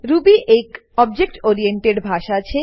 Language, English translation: Gujarati, Ruby is an object oriented language